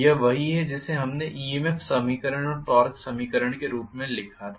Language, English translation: Hindi, This is what we wrote as the EMF equation and the torque equation